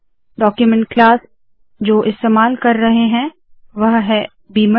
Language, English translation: Hindi, The document class that I am using is beamer